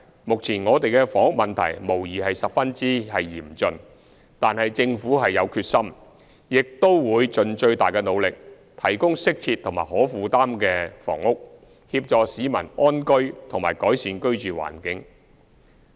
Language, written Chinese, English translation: Cantonese, 目前我們的房屋問題無疑是十分嚴峻，但政府有決心，亦都會盡最大努力，提供適切和可負擔的房屋，協助市民安居和改善居住環境。, Our housing issue is undoubtedly very severe nowadays but the Government is determined to make the greatest effort to provide decent and affordable housing to enable people to have comfortable homes and improve their living environment